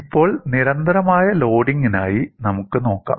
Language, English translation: Malayalam, Now, let us look at for constant load